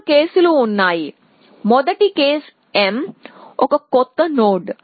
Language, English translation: Telugu, So, there are three cases the first case is when m is a new nod